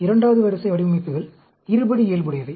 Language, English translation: Tamil, Second order designs are quadratic in nature